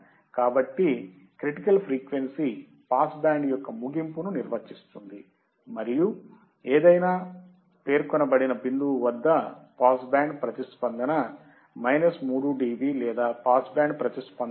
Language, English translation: Telugu, So, critical frequency defines the end of the pass band and normally specified at a point where the response drops to minus 3 dB or 70